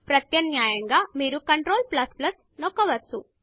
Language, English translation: Telugu, Alternately, you can press Ctrl + +